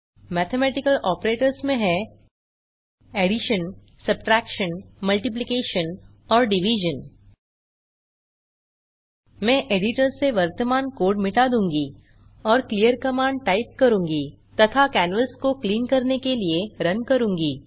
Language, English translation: Hindi, Mathematical operators include, + * and / I will clear the current code from editor and type clear command and RUN to clean the canvas I already have a program in a text editor